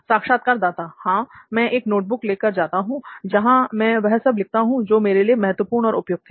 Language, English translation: Hindi, Yes, I do carry a notebook which is where I write my stuff which is important and relevant to me